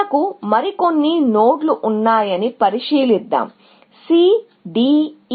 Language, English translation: Telugu, Then, you have, let us say, a few more nodes; C, D, E